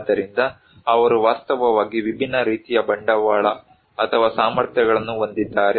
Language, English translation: Kannada, So, they have actually different kind of capitals or capacities